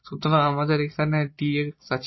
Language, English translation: Bengali, So, there should not be x here